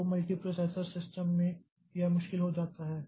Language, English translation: Hindi, So, multiprocessor systems, it becomes difficult